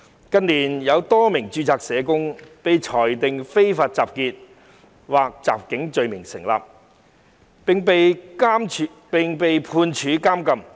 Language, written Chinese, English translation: Cantonese, 近年有多名註冊社工被裁定非法集結或襲警罪名成立，並被判處監禁。, In recent years a number of registered social workers were convicted of the offences of unlawful assembly or assault on police officers and were sentenced to imprisonment